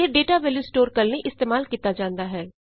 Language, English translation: Punjabi, It may be used to store a data value